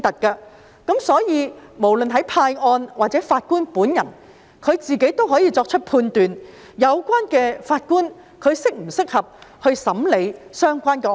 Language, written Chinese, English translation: Cantonese, 因此，不論是派案的，還是法官本人，也可以判斷有關法官是否適合審理相關案件。, Hence the person who assigns cases and the judge himself can judge whether the judge concerned is suitable to adjudicate the case